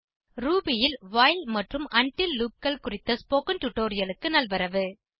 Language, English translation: Tamil, Welcome to the tutorial on while and until loops in Ruby